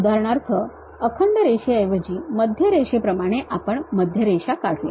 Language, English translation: Marathi, For example, like a center line instead of a continuous line we would like to draw a Centerline